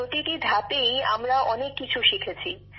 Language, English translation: Bengali, We have learnt very good things at each stage